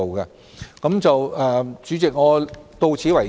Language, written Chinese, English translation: Cantonese, 代理主席，我發言到此為止。, Deputy President I shall stop here